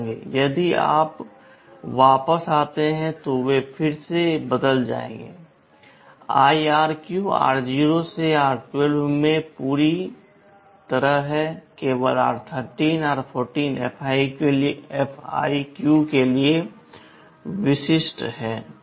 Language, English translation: Hindi, If you come back, they will again change and in IRQ r0 to r12 the whole thing is there, only r13 r14 are specific to FIQ